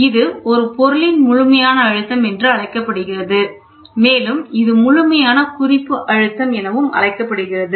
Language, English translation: Tamil, This one is called as absolute pressure absolute pressure of a system pressure of a system, this one is called absolute reference pressure